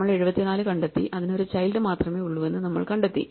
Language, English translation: Malayalam, So, we find 74 and we find that it has only one child